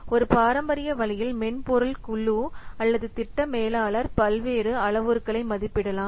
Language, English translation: Tamil, So, in a traditional fashion, the software group or the project manager, they can estimate the various parameters